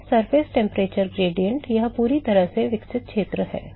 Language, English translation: Hindi, So, the surface temperature gradient, this is the fully developed region